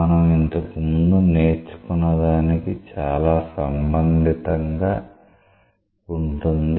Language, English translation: Telugu, It is very much related to what we have already learnt